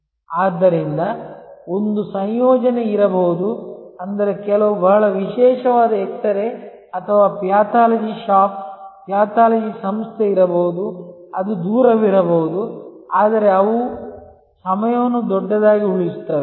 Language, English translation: Kannada, So, there can be a combination that mean some there can be a very exclusive x ray or a pathology shop, pathology organization, which may be even it a distance, but they save time big